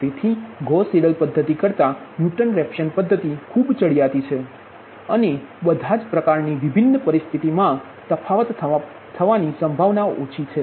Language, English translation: Gujarati, so newton raphson method is much superior than gauss seidel method and is less prone to divergence with ill conditioned problem